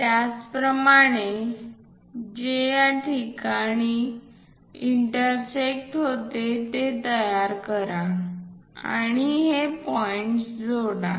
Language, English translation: Marathi, Similarly, construct which is going to intersect here only and join these points